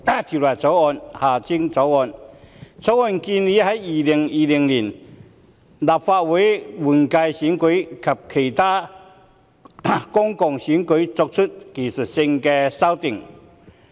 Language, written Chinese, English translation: Cantonese, 《條例草案》建議就2020年立法會換屆選舉及其他公共選舉作出技術性修訂。, President I rise to speak in support of the Electoral Legislation Bill 2019 the Bill which proposes to introduce technical amendments for the 2020 Legislative Council General Election and other public elections